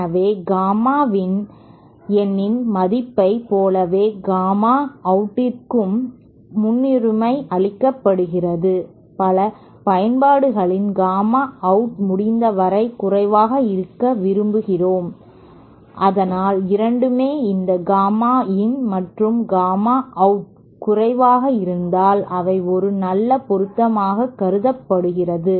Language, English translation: Tamil, So again just like the same case as the gamma in the value of gamma out also is preferred in many applications we prefer the gamma out to be as low as possible and so thatÕs how no, both these gamma in and gamma out if they are low then itÕs considered to be a good matching